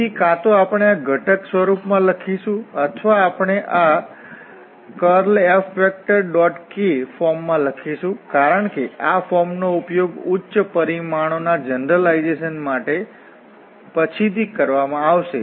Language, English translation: Gujarati, So, either we write in this component form or we write in this curl F dot k form because this form will be used later on for generalization to the higher dimensions